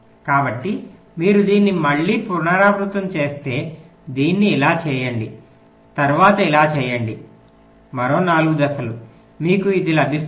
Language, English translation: Telugu, so if you repeat it again, do with this, then do it like this, then do it like this